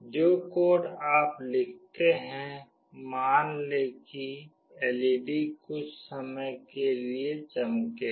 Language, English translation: Hindi, The code that you write, let us say that, LED will glow for some time